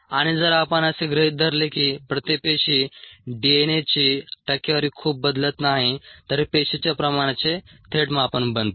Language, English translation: Marathi, and if we assume that the percentage DNA per cell does not vary too much, then this becomes a direct measure of the cell concentration it'self